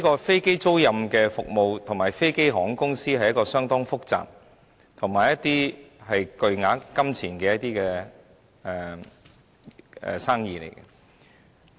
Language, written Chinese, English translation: Cantonese, 飛機租賃服務與飛機航空公司是一門相當複雜業務，並涉及巨額金錢。, The aircraft leasing services and airline companies are highly complicated businesses involving huge capital investment